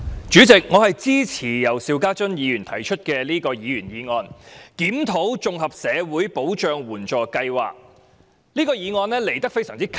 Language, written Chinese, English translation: Cantonese, 主席，我支持由邵家臻議員提出"檢討綜合社會保障援助計劃"的議員議案。, President I support the Members motion on Reviewing the Comprehensive Social Security Assistance Scheme proposed by Mr SHIU Ka - chun